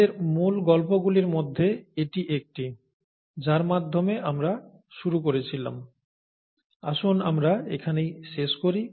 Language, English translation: Bengali, So this is this is one of our base stories with which we started out, so let’s finish up there